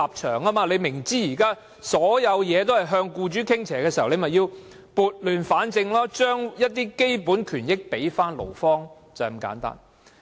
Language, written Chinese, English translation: Cantonese, 政府明知現時所有政策也向僱主傾斜，便應撥亂反正，將基本權益交回勞方，便是這麼簡單。, Knowing full well that currently all policies tilt towards employers the Government should right the wrong and return the basic right to employees . It is as simple as that